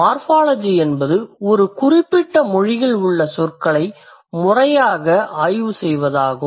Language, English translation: Tamil, Morphology is the systematic study of words in a given language